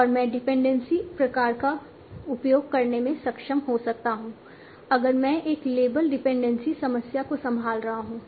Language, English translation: Hindi, And I might be able to use the dependency type if I am handling a labeled dependency problem